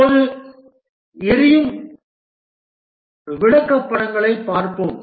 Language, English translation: Tamil, Now let's look at the burn down charts